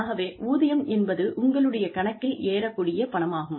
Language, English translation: Tamil, So, salary is the money, that comes into your account